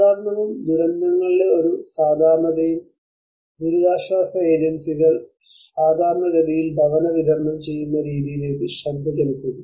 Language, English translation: Malayalam, Normality and a normality of disasters: relief agencies normally they rarely pay attention to the way in which housing is delivered